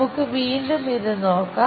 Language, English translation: Malayalam, And, let us look at it again